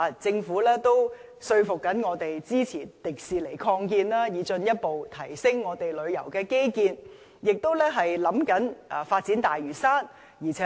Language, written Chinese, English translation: Cantonese, 政府正說服我們支持擴建迪士尼樂園，以進一步提升我們的旅遊基建，亦研究發展大嶼山。, At present the Government is persuading Members to support the proposed expansion of Hong Kong Disneyland to further enhance our tourism infrastructure and it is also conducting studies on developing Lantau